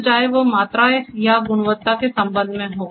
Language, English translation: Hindi, So, whether it is with respect to the quantity or quality